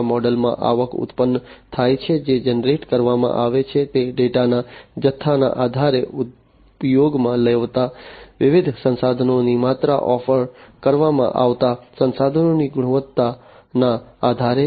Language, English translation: Gujarati, The revenues are generated in this model, based on the volume of the data that is generated, the volume of the different resources that are used, the quality of the resources that are offered